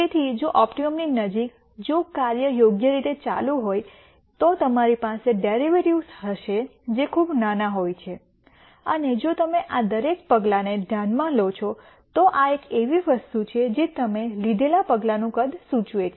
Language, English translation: Gujarati, So, as close to the optimum if the function is reasonably continuous then you are going to have derivatives which are very small and if you notice each of these steps, this is one thing that dictates the size of the step you take